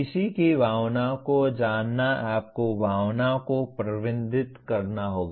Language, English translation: Hindi, Knowing one’s emotions you have to manage the emotions